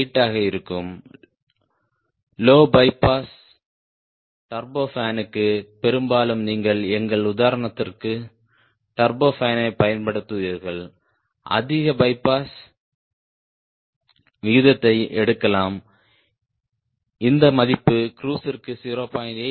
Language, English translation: Tamil, and for low bypass turbofan mostly you will be using turbofan iin our example, maybe you may pick high bypass ratio this value is around point eight for cruise and point seven